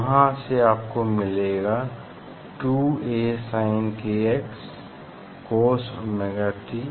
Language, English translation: Hindi, from there you will get 2 A sin kx cos omega t